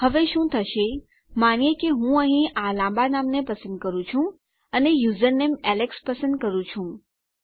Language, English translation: Gujarati, Now what will happen is, lets say I choose this ridiculously long name here and I choose a username say Alex